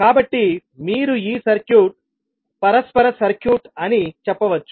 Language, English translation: Telugu, So, you can simply say that this particular circuit is reciprocal circuit